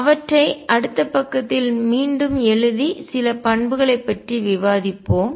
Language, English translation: Tamil, Let us rewrite them on the next page and discuss some of the properties